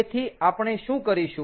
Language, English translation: Gujarati, so here, what do we have